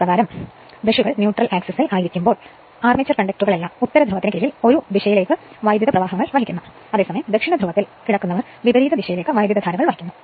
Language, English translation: Malayalam, Now when the brushes are on the neutral axis all the armature conductors lying under the north pole carrying currents in a given direction while those lying under south pole carrying currents in the reverse direction right